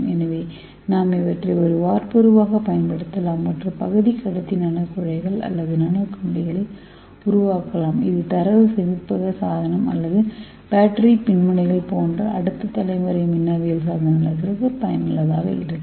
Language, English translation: Tamil, So we can use these as a template and we can make a semi conducting nano tubes or nano wires which could be useful for next generation electronics such as data storage device or battery electrodes, let us see how we can use it